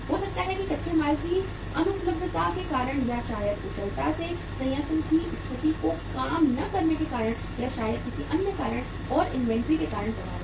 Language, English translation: Hindi, Maybe because of the non availability of raw material or maybe because of the not efficiently working the plant conditions or maybe because of any other reason and inventory is affected